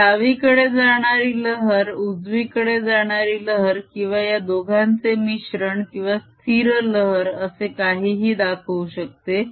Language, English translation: Marathi, this describes a wave travelling to the left, travelling to the right, or superposition of the two, or a stationary wave, whatever